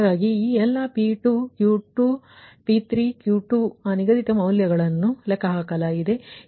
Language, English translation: Kannada, so all these p two, q two, p three, q two, that scheduled value computed